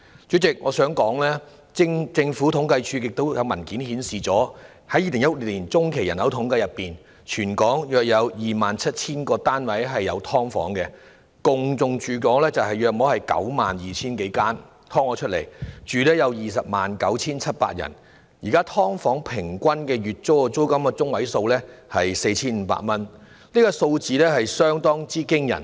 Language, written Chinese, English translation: Cantonese, 主席，我想指出，政府統計處的文件顯示，根據2016年中期人口統計，全港約有 27,000 個屋宇單位設有"劏房"，"劏房"數目達 92,000 多間，當中有 209,700 人居住，而現時"劏房"的月租中位數是 4,500 元，數字相當驚人。, President I wish to point out that it has been revealed in a document of the Census and Statistics Department CSD that according to the 2016 Population By - census there are about 27 000 quarters with subdivided units in Hong Kong and the number of subdivided units is some 92 000 . These subdivided units accommodate 209 700 residents and the median monthly rental payment for such units is 4,500 at present . These figures are really astonishing